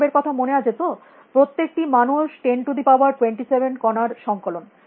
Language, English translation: Bengali, Remember human being, each human being is collection of 10 raise to 27 particles